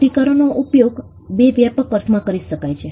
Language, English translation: Gujarati, Rights can be used in 2 broad senses